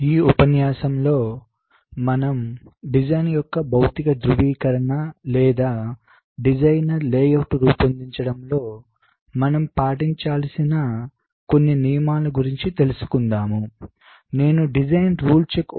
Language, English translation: Telugu, so in this lecture we shall be looking at ah, very importance step in, you can say physical verification of the design, or some rules which the design i should follow in creating the layout is something called design rule check